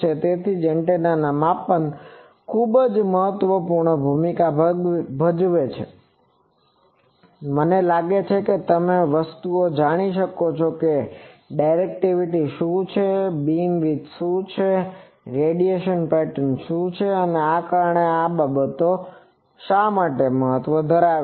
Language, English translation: Gujarati, So, that is why measurement plays a very important role in antennas I think that you can always determine those things that what is the directivity, what is the beam width, what is the radiation pattern because these things ultimately matters